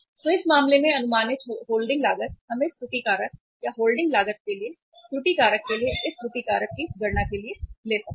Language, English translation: Hindi, So in this case estimated holding cost we can take for calculating this error factor for working out this error factor or the error factor for the holding cost